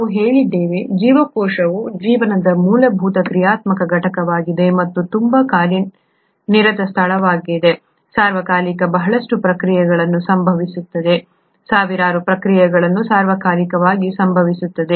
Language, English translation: Kannada, We said, cell is the fundamental functional unit of life and it’s a very busy place, a lot of reactions happening all the time, thousands of reactions happening all the time